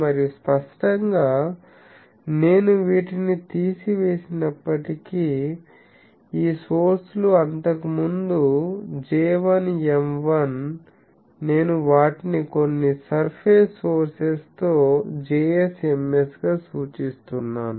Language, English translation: Telugu, And obviously, since I have removed these so the fields this sources which was earlier J1, M1 actual sources I have represent them with some surface sources Js, Ms here